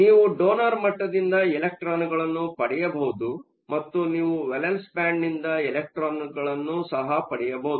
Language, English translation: Kannada, So, you can get the electrons from the donor level, and you can also get the electrons from the valence band